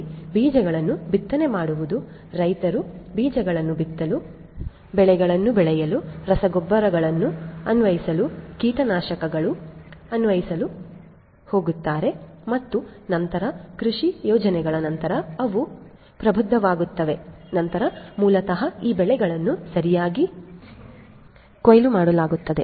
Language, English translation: Kannada, So, let us say that sowing of seeds, sowing seeds the farmers are going to sow seeds, grow crops, apply fertilizers, apply pesticides, etcetera and then after the agricultural plans they become matured, then basically these crops are harvested right